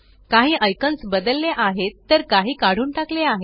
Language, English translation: Marathi, Some icons have been replaced while others have been removed